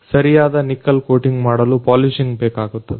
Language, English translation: Kannada, To make the proper coating of nickel, polishing is required